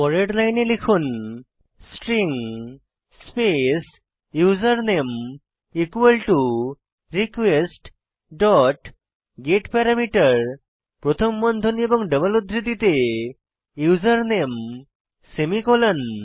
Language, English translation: Bengali, So that on the next line type, String space username equal to request dot getParameter within brackets and double quotes userName semicolon